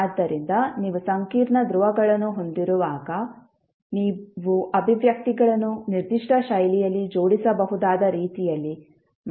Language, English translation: Kannada, So, when you have complex poles, you can rearrange the expressions in such a way that it can be arranged in a particular fashion